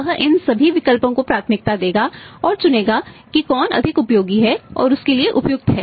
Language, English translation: Hindi, He will prioritise all these options and which one is more useful and suitable to him to go for that